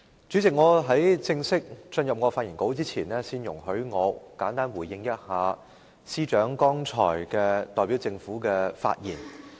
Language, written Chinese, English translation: Cantonese, 主席，在我正式進入我的發言稿之前，先容許我簡單回應政務司司長剛才代表政府的發言。, President before I formally deliver my speech allow me to give a simple response to the speech delivered by the Chief Secretary for Administration on behalf of the Government just now